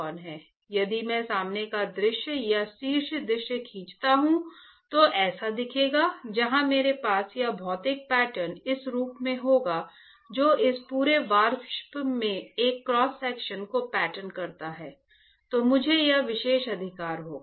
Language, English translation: Hindi, If I draw the front view or top view top view, will look like this where I will have this material pattern in this form patterning a cross section of this entire vapor, then I will have this particular right